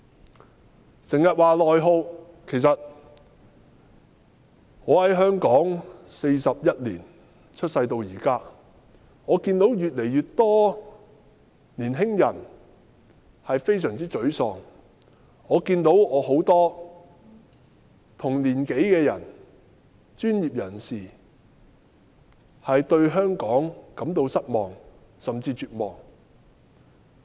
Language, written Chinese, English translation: Cantonese, 經常有人提到內耗，其實我由出世到現在，在香港41年，我看到越來越多年輕人非常沮喪，我看到許多同年紀的人，專業人士對香港感到失望，甚至絕望。, As regards internal attrition that is frequently referred to I have been living in Hong Kong for 41 years since my birth and I see more and more young people getting very frustrated . I see many of my peers who are professionals feeling disappointed or even desperate about Hong Kong